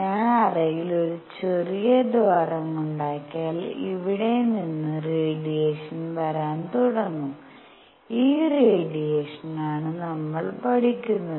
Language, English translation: Malayalam, And if I make a small hole in the cavity radiation starts coming out of here and it is this radiation that we study